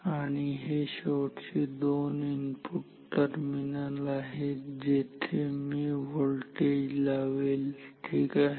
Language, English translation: Marathi, And this is the final two input terminals where we apply the voltage ok